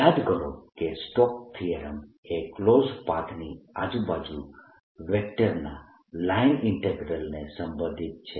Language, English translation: Gujarati, recall that stokes theorem relates the line integral of a vector around a closed path